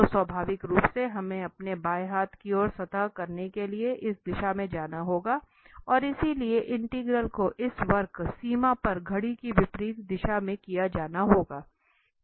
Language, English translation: Hindi, So naturally, we have to go in this direction to have surface on our left hand side and therefore the integral has to be done in anti clockwise on this curve, the boundary